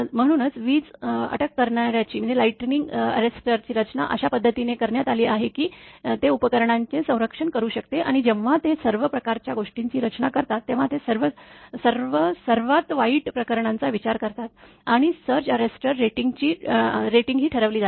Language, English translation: Marathi, So, that is why the lightning arrester is designed in such a fashion such that it can protect the equipment, and they when they design all sort of things they consider all the worst cases accordingly that surge arrester rating will be determined